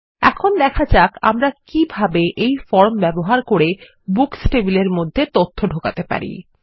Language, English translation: Bengali, Let us see how we can enter data into the Books table, using this form